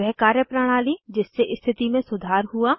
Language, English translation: Hindi, Practices that helped improve the condition